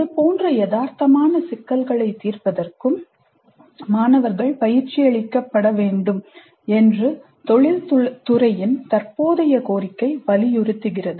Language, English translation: Tamil, Current demand from industry insists that students be trained in solving such realistic problems